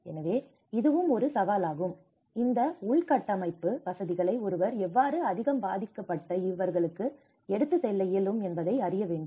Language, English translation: Tamil, So, this is also one of the challenge, how one can take these infrastructure facilities to the most affected